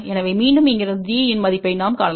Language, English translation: Tamil, So, again from here we can find the value of D